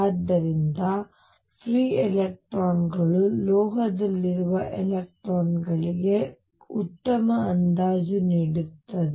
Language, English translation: Kannada, So, free electrons offer a reasonably good approximation to electrons in a metal